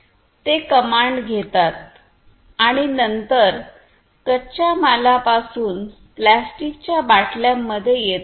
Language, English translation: Marathi, It takes the commands and then comes from the raw materials into plastic bottles